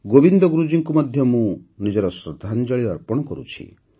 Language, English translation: Odia, I also pay my tribute to Govind Guru Ji